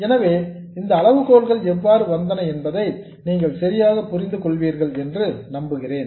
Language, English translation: Tamil, So, I hope you understand exactly how these criteria are arrived at